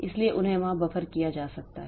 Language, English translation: Hindi, So, they can be buffered there